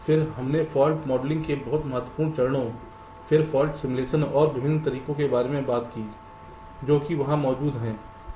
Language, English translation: Hindi, then we talked about the very important steps of fault modeling, then fault simulation and the different methods which exist there in